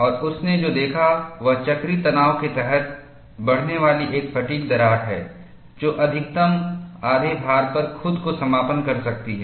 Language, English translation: Hindi, And what he observed was, a fatigue crack growing under cyclic tension can close on itself at about half the maximum load